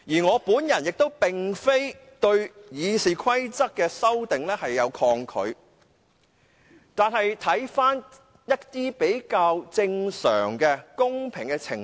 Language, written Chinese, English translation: Cantonese, 我亦並非抗拒對《議事規則》進行修訂，但是，我們應了解比較正常和公平的程序。, Also I do not resist making amendments to RoP but we should understand procedures that are relatively normal and fair